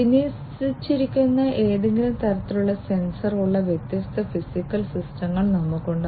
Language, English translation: Malayalam, We have different machines or different you know we have different physical systems on which there is some kind of sensor that is deployed